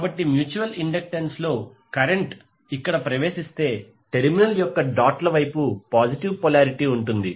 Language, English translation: Telugu, So if the current is entering here in mutual inductance will have the positive polarity in the doted side of the terminal